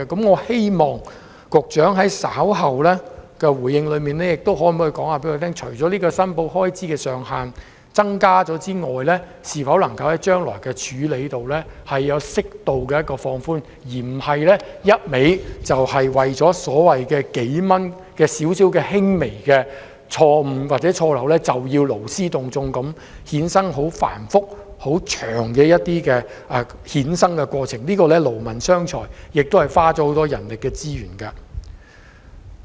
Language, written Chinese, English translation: Cantonese, 我希望局長稍後回應時可以告訴我們，除提高申報開支的門檻外，將來處理時是否有適度彈性，不是一味為了僅僅數元的輕微錯誤或錯漏，便勞師動眾，衍生繁複、漫長的過程，這樣只會勞民傷財，花費很多人力資源。, I hope the Secretary will tell Members shortly in his reply that apart from raising the threshold for declaration of election expenses whether or not suitable flexibility will be applied in handling election expense declarations in future so that the authorities will not involve excessive resources and complicated and lengthy processes for trivial errors or mistakes merely involving several dollars . This will only be a waste of money manpower and resources